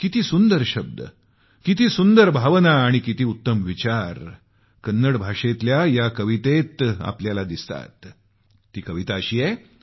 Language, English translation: Marathi, You will notice the beauty of word, sentiment and thought in this poem in Kannada